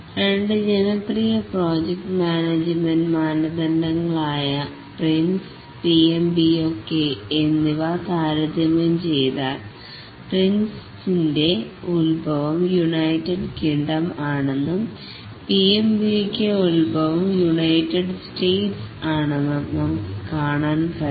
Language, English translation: Malayalam, If we compare two popular project management standards, the Prince and the PMB, we can see that the Prince is the origin is United Kingdom whereas the PMBOK, the origin is United States